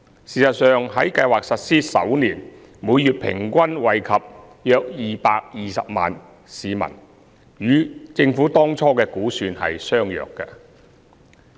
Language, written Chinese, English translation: Cantonese, 事實上，在計劃實施首年，每月平均惠及約220萬名市民，與政府當初的估算相若。, In fact the monthly average number of beneficiaries of the Scheme in its first year of implementation was around 2.2 million which was similar to the Governments estimate back then